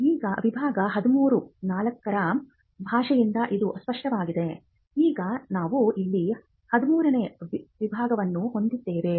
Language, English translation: Kannada, Now, this is clear from the language of section 13, now we have section 13 here